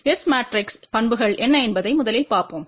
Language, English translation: Tamil, Let us first look at what are the S matrix properties